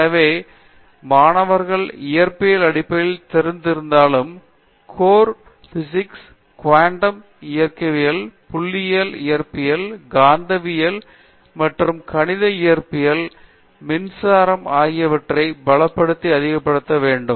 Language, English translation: Tamil, So, although the students have exposure to fundamentals of physics, their core physics namely classical mechanics, quantum mechanics, statistical physics, electricity in magnetism and mathematical physics these needs to be strengthened and augmented